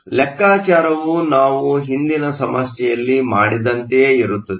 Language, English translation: Kannada, We can do the same thing that we did in the last problem